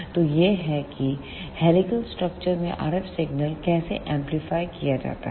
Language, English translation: Hindi, So, this is how the RF signal in helical structure is amplified